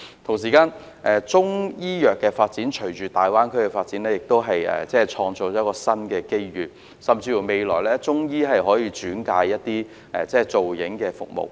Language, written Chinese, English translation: Cantonese, 同時，中醫藥發展隨着大灣區的發展亦可創造新的機遇，未來甚至可由中醫轉介提供造影服務。, In the meantime the development of the Greater Bay Area will also create new opportunities for the development of Chinese medicine and cases may even be referred by Chinese medicine practitioners in the future for the provision of imaging services